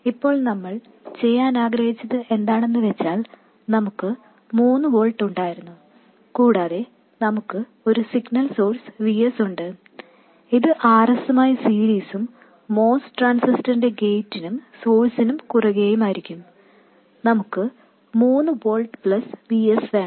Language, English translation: Malayalam, Now given that, what we wanted to do was for instance we had 3 volts and we have our signal source Vs in series with RS and across the gate source of the most transistor we wanted 3 volts plus VS